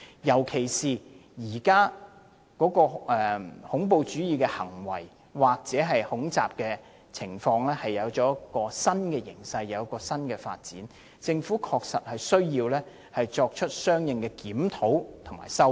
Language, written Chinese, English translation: Cantonese, 現時恐怖主義行為或恐襲情況出現了新形勢和新發展，政府確實需要作出相應行動修改法例。, In response to the new situations and developments regarding terrorist acts and attacks the Government really has to amend the Ordinance accordingly